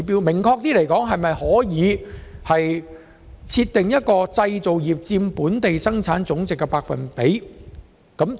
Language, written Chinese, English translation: Cantonese, 明確來說，政府是否可以訂立製造業佔本地生產總值的目標百分比？, To be specific can the Government set a target percentage for the contribution of manufacturing to GDP?